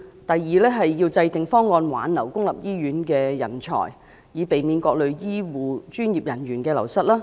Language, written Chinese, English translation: Cantonese, 第二，制訂方案挽留公立醫院的人才，以避免各類醫護專業人員流失。, Secondly schemes for retaining talents in public hospitals to avoid the wastage of various types of healthcare professionals should be devised